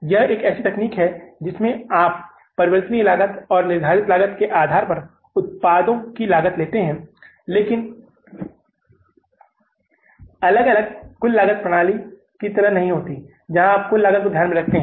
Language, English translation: Hindi, This is a technique where you cost the products based upon the variable cost and fixed costs but separately not like the total costing system where you take the total cost into account